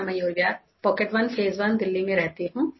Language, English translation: Hindi, I reside in Mayur Vihar, Pocket1, Phase I, Delhi